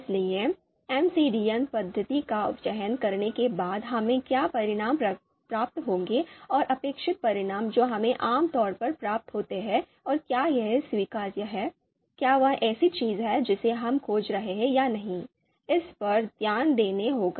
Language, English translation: Hindi, So what are the outcomes that we will get after selecting an MCDA method and the expected outcome that we typically receive and whether that is acceptable, whether that is something that we are looking for